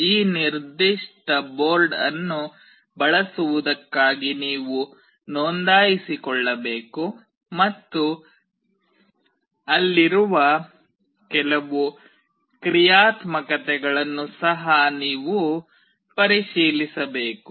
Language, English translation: Kannada, For using this particular board you need to register, and you have to also check certain functionalities which are there, etc